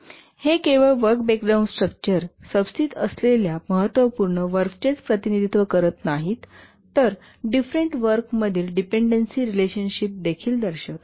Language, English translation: Marathi, These not only represent the important tasks that are present in the work breakdown structure, but also the dependency relations among the different tasks